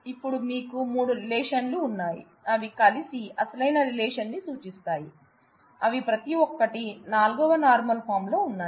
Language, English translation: Telugu, And you have three relations now, which together represent the original relation each one of them is in 4th normal form